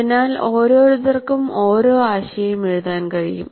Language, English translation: Malayalam, So one can write one idea in each one